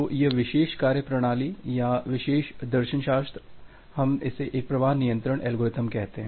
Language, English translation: Hindi, So, this particular methodology or this particular philosophy, we call it as a flow control algorithm